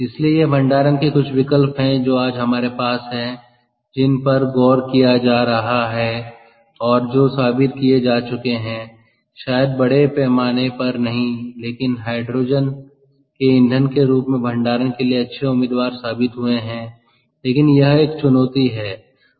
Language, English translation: Hindi, ok, so these are some options of storage that we have today that are being looked into and that are that have probably been proven if may not be at a very large scale, but have been proven to be good candidates for storage of hydrogen as fuel